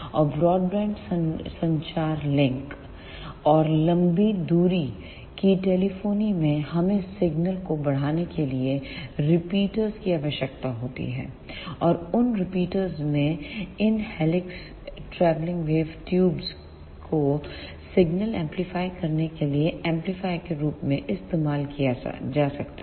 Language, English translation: Hindi, And in wideband communication links and long distance telephony, we need repeaters to amplify the signals; and in those repeaters these helix travelling wave tubes can be used as an amplifier to amplify the signals